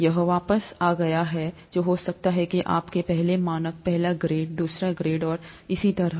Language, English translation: Hindi, This is way back, may be in your, first standard, first grade, second grade and so on